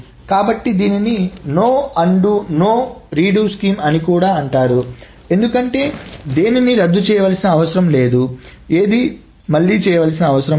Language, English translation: Telugu, So that is why this is also called a no undo slash no redo scheme because nothing needs to be undone, nothing needs to be done